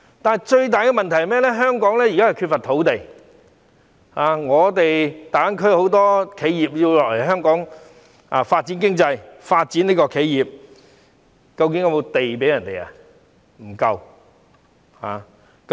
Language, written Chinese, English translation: Cantonese, 然而，最大的問題是，香港現時缺乏土地，大灣區很多企業要來香港發展，究竟是否有足夠土地可提供給他們？, Nonetheless the biggest problem now is the shortage of land in Hong Kong . A lot of enterprises in GBA want to come to Hong Kong for development but is there enough land for them?